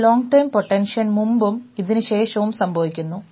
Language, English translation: Malayalam, So, this is before long term potentiation and this is after it